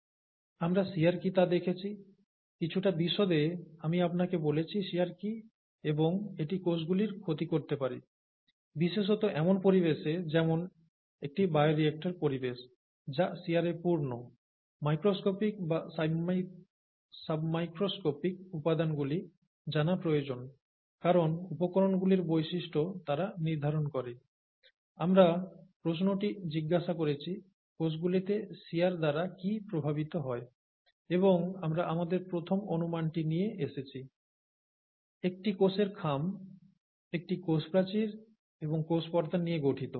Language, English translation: Bengali, We saw what shear was; I told you in some detail what shear was and that it can cause damage to cells, especially in an environment such as a bioreactor environment which is full of shear, and the microscopic or the sub micoscopic components need to be known because they determine the properties of materials, and then we ask the question what gets affected by shear in cells and we came up with our first guess, a cell envelope which consists of a cell wall and a cell membrane